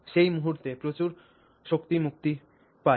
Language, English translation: Bengali, At that point a lot of energy gets released